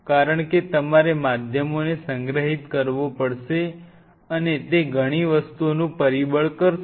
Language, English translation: Gujarati, Because you have to store mediums will factors several things